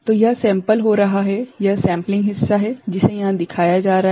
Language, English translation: Hindi, So, this is getting sampled, this is the sampling part that is being shown here